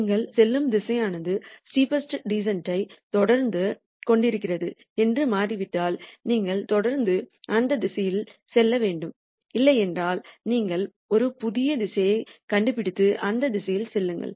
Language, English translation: Tamil, If it turns out that the direction that you are on is continuing to be the steepest descent direction you continue to go on that direction, if not you find a new direction and then go in the direction